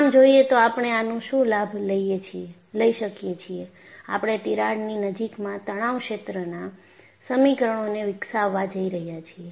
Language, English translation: Gujarati, So, the one way, what we could take advantage of this is, we are going to develop stress field equations in the vicinity of a crack